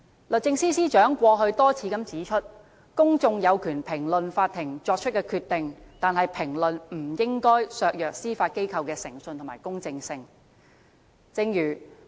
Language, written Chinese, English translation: Cantonese, 律政司司長過去多次指出，公眾有權評論法庭作出的決定，但評論不應該削弱司法機構的誠信和公正性。, The Secretary for Justice has repeatedly pointed out that the public have the right to comment on court rulings but the comments should not undermine the credibility and impartiality of the Judiciary